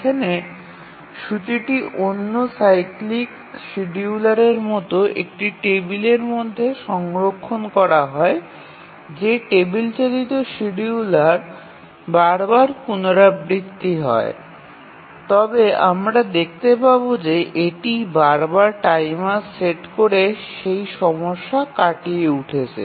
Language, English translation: Bengali, So, the schedule here is stored in a table as in the case of other cyclic scheduler that the table driven scheduler which is repeated forever but we will see that it overcomes setting a timer again and again